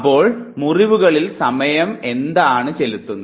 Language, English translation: Malayalam, So what time does to the wounds